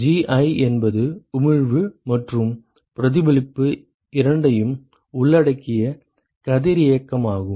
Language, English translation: Tamil, Where Ji is the radiosity which includes both emission and reflection